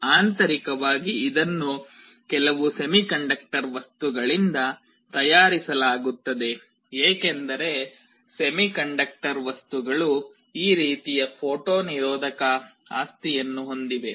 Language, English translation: Kannada, Internally it is made out of some semiconductor material, because semiconductor materials have this kind of photo resistive property